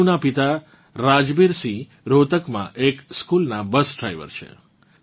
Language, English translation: Gujarati, Tanu's father Rajbir Singh is a school bus driver in Rohtak